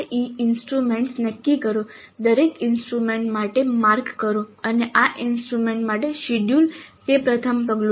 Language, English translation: Gujarati, Determine the CIE instruments, marks for each instrument and the schedule for these instruments that is first step